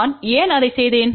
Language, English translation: Tamil, Why I have done that